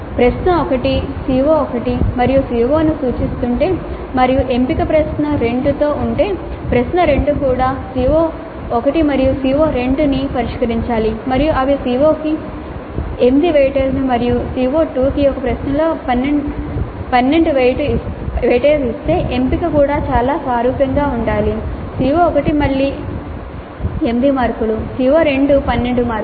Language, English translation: Telugu, So if the question 1 is addressing CO1 and CO2 and the choice is with question 2, question 2 also must address CO1 and CO2 and they must be reasonably similar in the structure in the sense that if CO1 is given a weight of 8 and CO2 is given a weight of 12 in one question the choice also must be quite similar